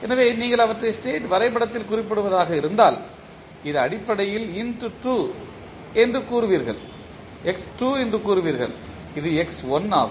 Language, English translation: Tamil, So, if you represent them in the state diagram you will say that this is basically x2, this is x1